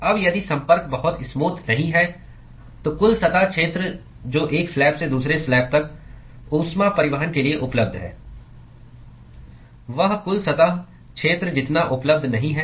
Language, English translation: Hindi, Now if the contact is not very smooth, then the total surface area which is available for heat transport from one slab to the other slab is not as much as the overall surface area which is available